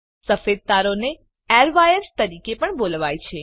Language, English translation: Gujarati, White wires are also called as airwires